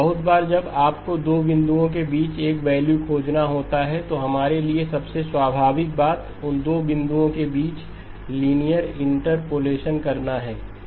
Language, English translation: Hindi, Very often when you have to find a value between two points, the most natural thing for us to do is to do linear interpolation between those two points